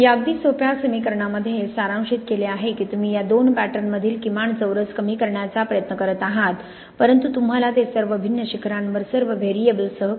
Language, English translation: Marathi, It is summarized here in this very, very simple equation that you are trying to minimize the least squares between these two patterns but you have to do that over all the different peaks with all the different variables